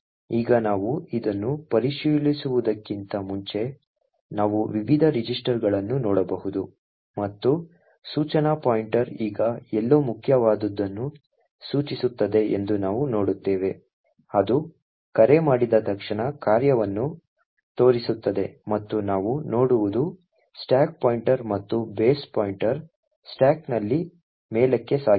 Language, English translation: Kannada, Now as before we could also verify this, we could look at the various registers and we see that the instruction pointer now points to somewhere in main in fact it is pointing to the function soon after the call which is this which corresponds to the add function and what we also see is that the stack pointer and the base pointer have moved up in the stack